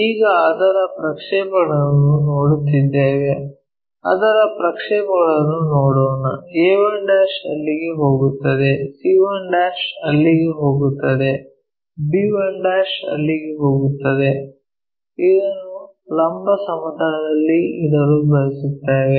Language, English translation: Kannada, Now, their projections if we are looking, let us look at their projections a 1 goes there, c 1 goes there, b 1' goes there, we want to keep this on the vertical plane